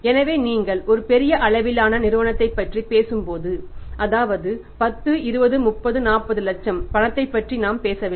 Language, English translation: Tamil, So, in the firm because when you are talking about a large sized a company there we are not talking about that 10, 20, 30, 40 lakh cash